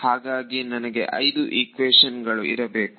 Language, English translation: Kannada, So, I should get 5 equations